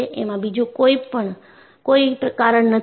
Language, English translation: Gujarati, There is no other reason